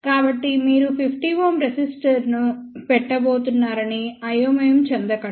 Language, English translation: Telugu, So, do not get confused that you are going to put 50 ohm resistor